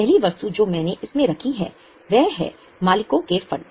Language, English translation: Hindi, Now, the first item I have put it as owner's fund